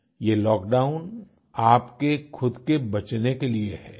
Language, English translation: Hindi, This lockdown is a means to protect yourself